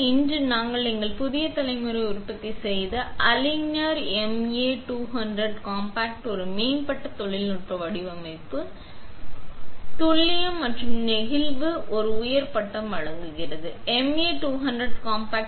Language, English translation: Tamil, Today, I would like to present our new generation of production aligner, the MA200 compact which offers an advanced technology design, unmatched precision and a high degree of flexibility